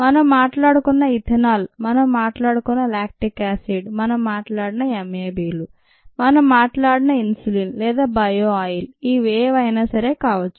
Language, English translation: Telugu, it could be the ethanol that we talked about, the lactic acid that we talked about, the m a, bs that we talked about, the insulin that we talked about or the bio oil that we talked about